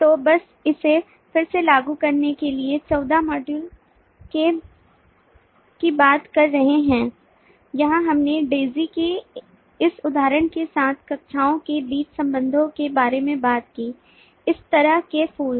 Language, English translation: Hindi, so just to recap, this is referring back module 14 where we talked about relationship among classes with this example of daisy rose, this kind of flowers